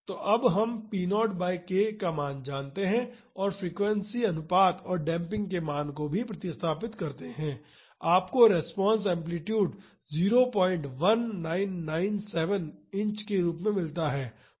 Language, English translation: Hindi, So, we know the value of p naught by k now and also substitute the value of frequency ratio and damping, you get the response amplitude as 0